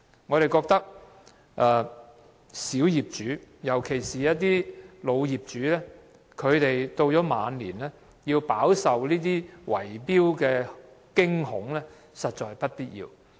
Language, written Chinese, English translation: Cantonese, 我們認為小業主，尤其是一些老業主，到了晚年仍要飽受這些圍標的驚恐，實在是不必要的。, For small property owners particularly the elderly owners who are gripped by the fear of bid - rigging in old age we consider that bid - rigging is completely avoidable